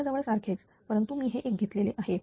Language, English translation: Marathi, Almost same, but I have taken this one